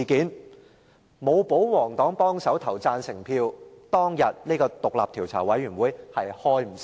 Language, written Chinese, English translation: Cantonese, 如果沒有保皇黨幫忙投下贊成票，當天便無法成立專責委員會。, If royalist Members had not offered help by casting affirmative votes a select committee would not have been set up at that time